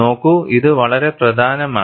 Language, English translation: Malayalam, See, this is very important